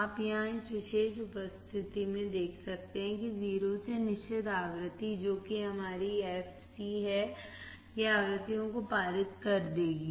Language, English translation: Hindi, You can see here in this particular condition low pass from 0 to certain frequency that is our fc, it will pass the frequencies